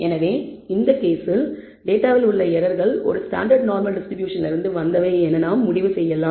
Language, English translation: Tamil, And therefore, in this case we can safely conclude that the errors in the data come from a standard normal distribution